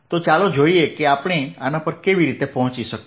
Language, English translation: Gujarati, all right, so let's see how we arrived at this